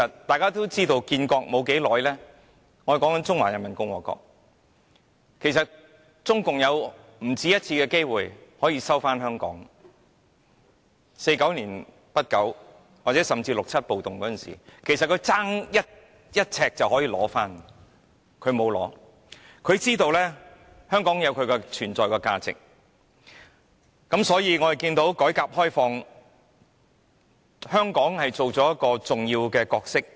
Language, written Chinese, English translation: Cantonese, 大家也知道中華人民共和國建國沒多久，已不止一次有機會可以收回香港，即如1949年中共建國之初，甚至六七暴動時，中國差點便可以取回香港，但國家並沒有這樣做，因為明白香港有其存在價值。, We all know that soon after its establishment the Peoples Republic of China PRC had the opportunity more than once of taking back Hong Kong meaning that the PRC could almost have taken back Hong Kong during the early years after its establishment in 1949 or even during the 1967 riots . Nevertheless the State did not proceed as it understood Hong Kongs value of existence